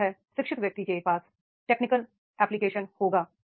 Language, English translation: Hindi, Similarly, an educated person will be having the technical application